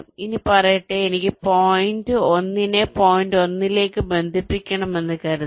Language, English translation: Malayalam, now let say, suppose i want to connect point one to point one